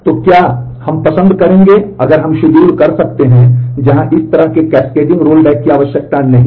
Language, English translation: Hindi, So, what we would prefer is if we could have schedules where such cascading roll back is not required